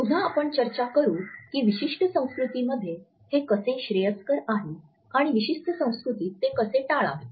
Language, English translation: Marathi, Again we shall discuss how in certain cultures it is preferable and how in certain cultures it is to be avoided